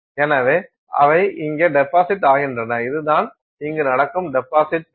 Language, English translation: Tamil, So, they deposit here so, this is what the deposit is happening